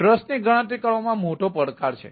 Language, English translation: Gujarati, how do i calculate the trust is a big challenge